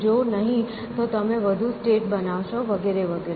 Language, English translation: Gujarati, If not then you generate more states and so on